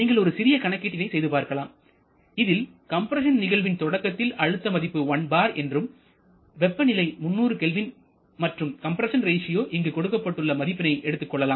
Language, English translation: Tamil, You can try to do a calculation where you take the pressure at the beginning of compression to be equal to 1 bar and temperature equal to 300 Kelvin, compression ratio is also given